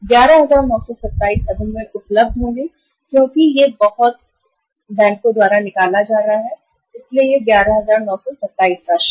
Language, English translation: Hindi, 11,927 will be available to us now because this much is going to be withdrawn by the bank so it is 11,927 amount is there